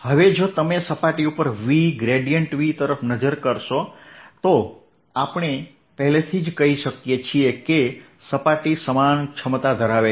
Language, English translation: Gujarati, now if you look at v grad v over the surface, we are already saying that the surface has the same potential